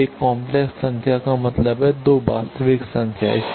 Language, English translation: Hindi, So, one complex number means 2 real numbers